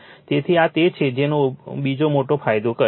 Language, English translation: Gujarati, So, this is your what you call that another major advantage